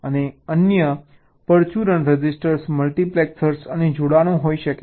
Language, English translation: Gujarati, and there can be a other miscellaneous registers, multiplexors and connections